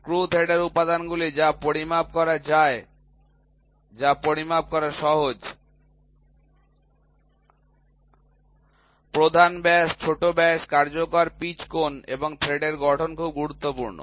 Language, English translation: Bengali, Screw thread elements which are to be measured or which is easy to measure; major diameter, minor diameter effective pitch angle and form of threads are very important